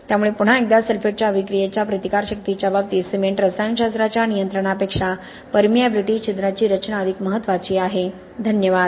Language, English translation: Marathi, Okay, so again control of permeability, pore structure is way more important than control of cement chemistry as far as sulphate attack resistance is concerned, thank you all